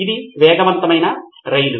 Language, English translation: Telugu, It is a fast train, high speed train